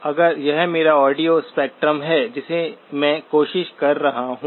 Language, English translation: Hindi, If this is my audio spectrum that I am trying to